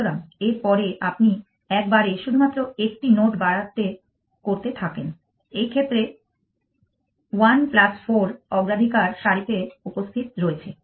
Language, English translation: Bengali, So, next on you go on incrementing only one node at a time is present in the priority queue one plus four in this case 1 plus 4